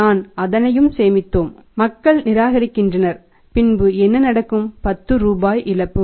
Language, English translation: Tamil, We saved everything people are rejecting the credit what will happen we lost 10 rupees